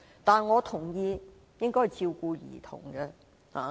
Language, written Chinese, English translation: Cantonese, 但是，我同意應該照顧兒童將來的需要。, However I agree that we should look after the future needs of children